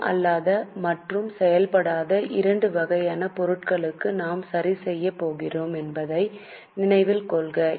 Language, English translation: Tamil, Remember, we are going to adjust for non cash and non operating both types of items